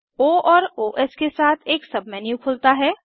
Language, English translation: Hindi, A Sub menu with O and Os opens